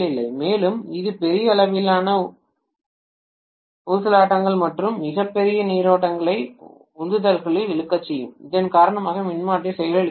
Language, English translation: Tamil, And this will cause huge amount of oscillations or very large currents to be drawn in spurts because of which the transformer can malfunction